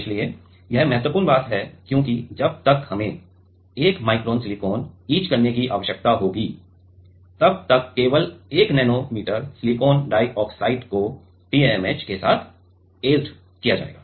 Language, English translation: Hindi, So, this is very important because by the time we need to we etch 1 micron of silicon only 1 nanometer of silicon dioxide will be etched with TMAH